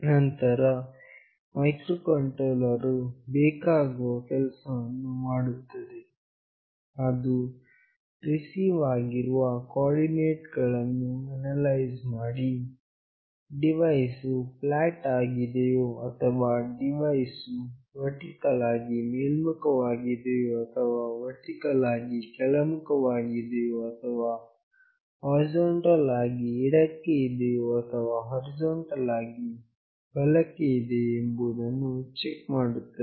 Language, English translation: Kannada, Then the microcontroller will do the needful, it will analyze to check whether the coordinates received signifies that the device is flat or the device is vertically up or it is vertically down or it is horizontally left or it is horizontally right